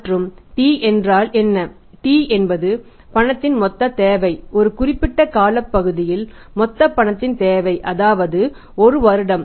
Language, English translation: Tamil, Then T is the total requirement of the cash over a period of time and we assume here the period of one year